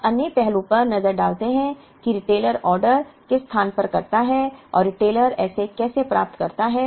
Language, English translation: Hindi, Now, let us look at the other aspect who does the retailer place the order and how does the retailer get it